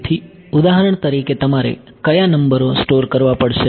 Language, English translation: Gujarati, So, for example, what all numbers will you have to store